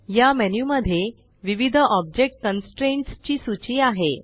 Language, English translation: Marathi, This menu lists various object constraints